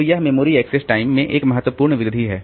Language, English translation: Hindi, So, that's a significant increase in the memory access time